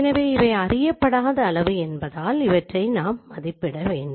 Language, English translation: Tamil, So these are the unknown quantity because those are going to be estimated